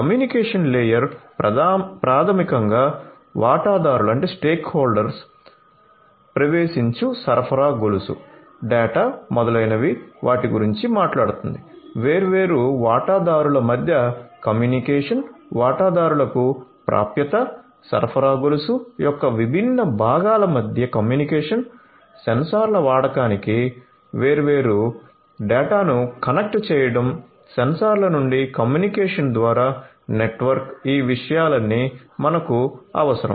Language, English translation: Telugu, Communication layer basically talks about stakeholder access supply chain data etcetera etcetera, the communication between the different stakeholders access to the stakeholders, communication between the different components of the supply chain, connecting different data to the use of sensors from the sensors through the communication network, all of these things are required